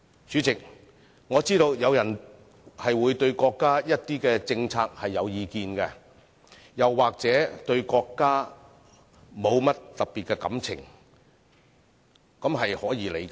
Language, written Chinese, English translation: Cantonese, 主席，我知道有人會對國家的一些政策有意見，又或對國家沒有特別的感情，這是可以理解的。, President I understand that some people may have views on certain national policies or they do not feel anything special about the country and this is understandable